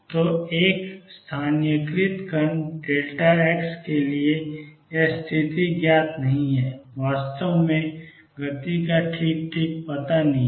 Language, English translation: Hindi, So, for a localized particle delta x it is position is not known exactly is momentum is not know exactly